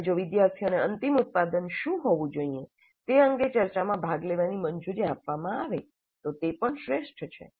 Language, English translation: Gujarati, And if students are allowed to participate in the discussion regarding what should be the final product, that is also great